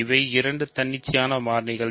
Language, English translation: Tamil, These are two independent variables